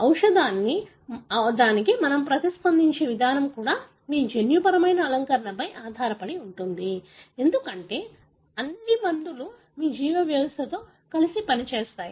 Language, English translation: Telugu, The way we respond to the drug also depends on your genetic makeup, because the drugs after all work in combination with your biological system